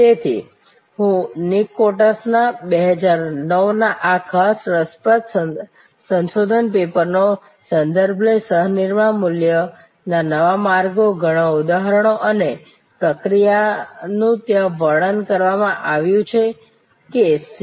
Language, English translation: Gujarati, So, I would also refer to this particular interesting research paper by Nick Coates 2009, Co creation New pathways to value, lot of more examples and process are described there and also the C